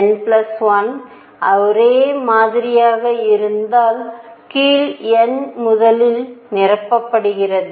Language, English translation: Tamil, And if n plus l is the same then lower n is filled first right